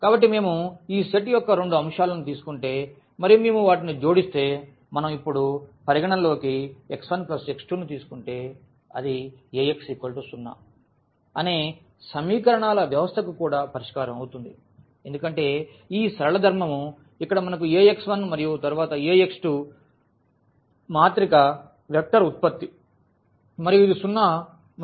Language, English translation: Telugu, So, if we take two elements of this set and if we add them; so if we consider now x 1 plus x 2 and that will be also the solution of this system of equations Ax is equal to 0, because of this linear property here we have Ax 1 and then Ax 2 that is a matrix vector product and this is 0 and this is 0